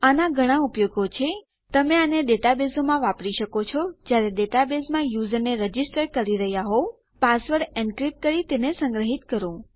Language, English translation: Gujarati, This has many uses, you can use it in data bases when you are registering a user in a data base, encrypt the password then store it